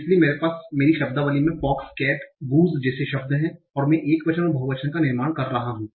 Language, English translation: Hindi, So, I have in my vocabulary words like fox, cat, goose, and I am generating the singular and plural form